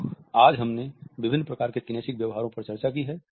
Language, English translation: Hindi, So, today we have discussed different types of kinesic behaviors